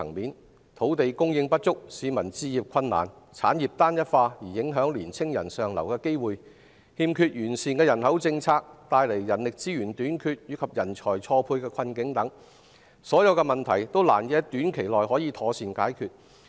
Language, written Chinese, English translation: Cantonese, 相關的問題包括土地供應不足、市民置業困難，產業單一化影響青年人上流的機會，人口政策有欠完善，造成人力資源短缺及人才錯配困境等，這些問題都難以在短期內妥善解決。, The relevant problems include insufficient land supply difficulties for citizens to buy a home homogeneity of the economy that affects young peoples opportunities for upward mobility imperfect population policies the shortage of human resources and the dilemma of talent mismatch . These problems are difficult to solve properly in a short period